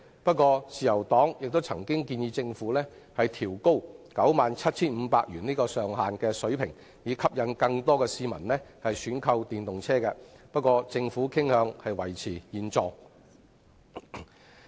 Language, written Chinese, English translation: Cantonese, 雖然自由黨亦曾建議政府調高 97,500 元的上限，以吸引更多市民選購電動車輛，政府卻傾向維持現狀。, Although the Liberal Party has suggested that the Government raise the cap of 97,500 to attract more members of the public to buy electric vehicles the Government is more inclined to keep it at the current level